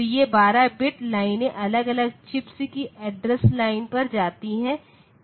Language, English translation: Hindi, So, that is the 12 bit lines and that goes to the address line of individual chips